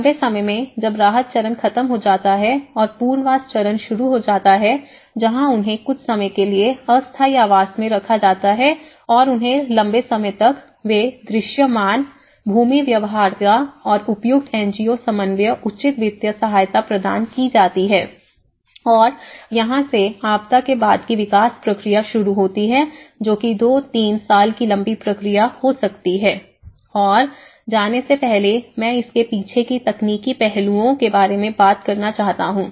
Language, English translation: Hindi, In a long run, once the relief stage is done and the rehabilitation stage where they are put in temporary housing for some time and long run they look for the visible land feasibility and appropriate NGO co ordinations, appropriate financial visibilities and that is where the post disaster development process works on, which you could be a two year, three year long run process, and before going I like to brief about the technical aspects behind it